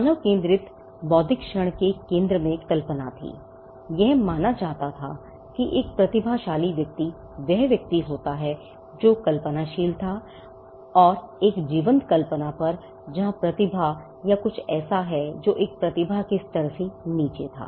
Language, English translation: Hindi, The human centric intellectual moment had imagination at it centre, it was regarded that a genius is a person who was imaginative and over a vibrant imagination; where has talent or something which was below the level of a genius